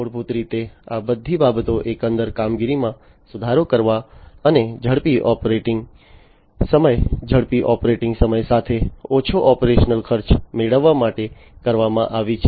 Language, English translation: Gujarati, So, basically all these things have been done in order to improve upon the overall operations and to have faster operating time, lower operational cost with faster operating time